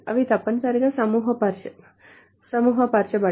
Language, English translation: Telugu, They must appear, they must be grouped by